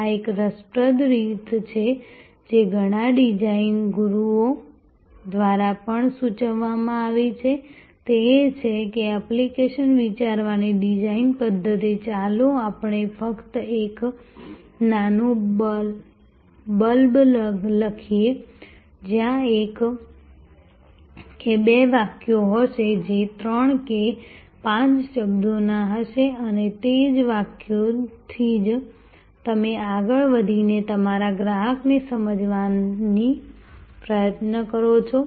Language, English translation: Gujarati, This is an interesting way of also suggested by many design gurus is that design way of thinking application, let us just write a small blurb, you know one or two sentence 3 of 5 words, which will be typical for this customer persona that you are trying to develop